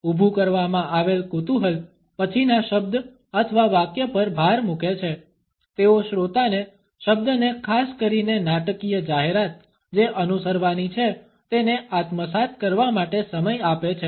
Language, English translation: Gujarati, The build up suspense and emphasize the word or sentence that follows, they also give time to the listener to assimilate the word particularly for the dramatic announcement which is likely to follow